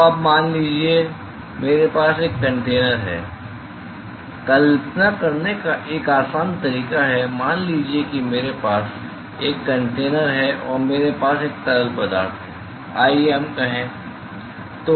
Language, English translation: Hindi, So, now, suppose I have a container, a simple way to visualize, suppose I have a container and I have a fluid let us say